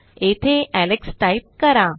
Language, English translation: Marathi, Here Ill type Alex